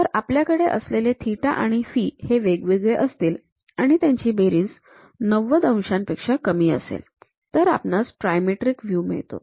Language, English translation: Marathi, So, if we are having theta and phi different and their summation is less than 90 degrees, we have trimetric view